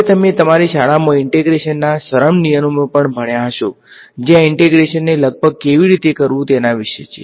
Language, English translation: Gujarati, Now, you would have also encountered simple rules of integration in your schooling which are about how to do this integration approximately right